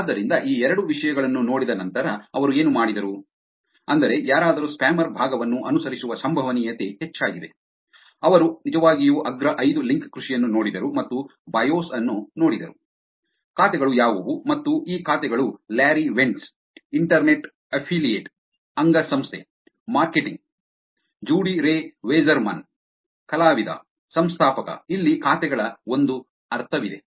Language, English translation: Kannada, So, what they did was after looking at these two things, which is the probability of somebody following spammer part is high, they actually looked at the top five link farmers and looked at the bios, what are the accounts and here is a sense of what these accounts are Larry Wentz, Internet affiliate, Marketing; Judy Rey Wasserman, artist, founder